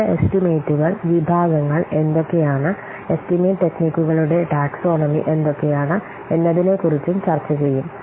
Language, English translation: Malayalam, And in the next class we will discuss what are the various estimation, what are the categories of what are the taxonomy for the estimation techniques